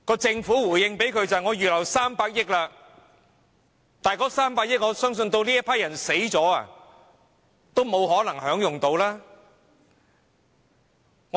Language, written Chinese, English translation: Cantonese, 政府的回應是已預留300億元，但我相信這批人離世時都不可能受惠於這300億元。, And the Government says in response that 30 billion has already been earmarked . However I believe this group of people cannot benefit from this 30 billion when they die